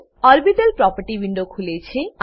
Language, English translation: Gujarati, Orbital property window opens